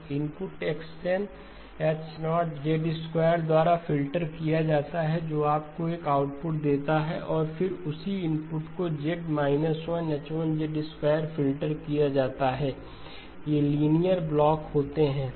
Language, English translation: Hindi, So the input X of N gets filtered by H0 of Z squared that gives you one output and then the same input is filtered by Z inverse H1 of Z squared these are linear blocks